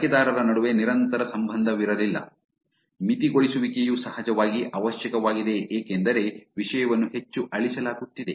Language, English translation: Kannada, There was not a persistent relationship between the users, moderation is of course necessary because content is getting deleted very highly